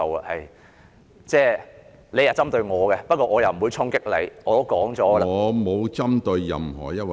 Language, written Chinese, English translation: Cantonese, 雖然你針對我，但我不會衝擊你，我早已說明......, Even though you have picked on me I will not challenge you . I have already explained